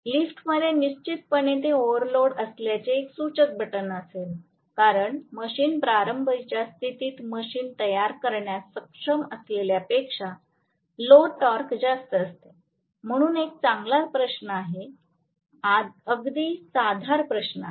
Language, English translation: Marathi, The elevator definitely will have an indicative button that it is overload, because the load torque is greater than whatever the machine is capable of generating at the starting condition, so it is a very good question, very valid question